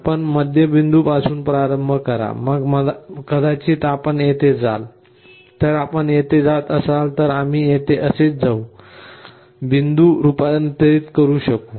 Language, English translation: Marathi, You start with the middle point, then maybe you will be going here, then you will be going here then we will be going here like this; you will be converging to the point